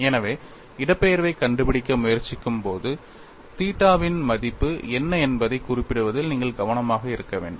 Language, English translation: Tamil, So, you have to be careful in specifying, what is the value of theta when you are trying to find out the displacement